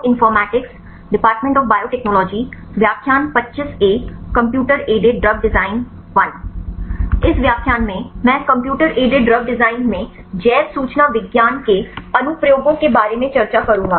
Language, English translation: Hindi, In this lecture, I will discuss about the applications of bioinformatics right in computer aided drug design